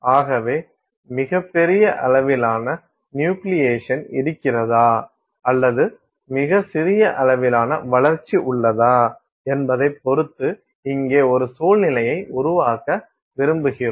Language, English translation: Tamil, So, we want to create a situation here whether there is very large amount of nucleation ah, but very extremely tiny amount of growth